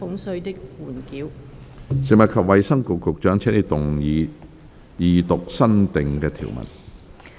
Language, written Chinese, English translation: Cantonese, 食物及衞生局局長，請動議二讀新訂條文。, Secretary for Food and Health you may move the Second Reading of the new clauses